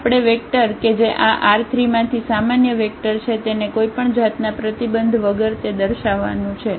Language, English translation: Gujarati, We will show that this vector which is a general vector from this R 3 without any restriction